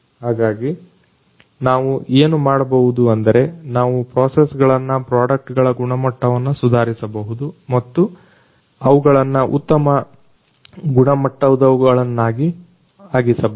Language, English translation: Kannada, And so what we can do is we can make the processes, the quality of the products in turn much more improve and of better quality